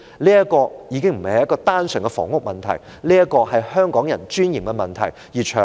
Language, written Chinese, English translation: Cantonese, 這已非單純房屋的問題，也是香港人尊嚴的問題。, This is already not purely a housing issue but also an issue about the dignity of Hong Kong people